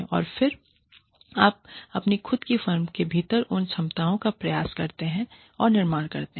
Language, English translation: Hindi, And then, you try and build those capabilities, within your own firm